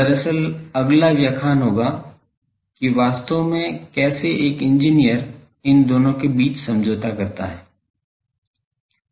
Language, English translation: Hindi, Actually, the next lectures will be actually how an engineer makes that compromise between these